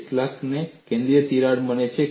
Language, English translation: Gujarati, How many have got the central crack